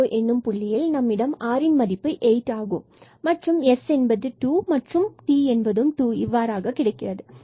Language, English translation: Tamil, So, we have at this point r is 8, s is 0 and t is 2 at the 0